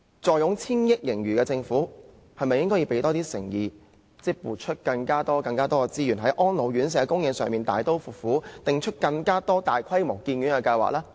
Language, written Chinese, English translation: Cantonese, 坐擁千億元盈餘的政府，是否應該多展現點誠意，撥出更多資源，在安老院舍供應上大刀闊斧，定出更多大規模的建院計劃呢？, With a surplus of hundreds of billions of dollars in hand should the Government not demonstrate some sincerity by allocating more resources to draw up large - scale construction plans of residential care homes for the elderly?